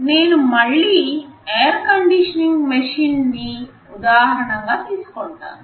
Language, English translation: Telugu, Let me take the example of an air conditioning machine again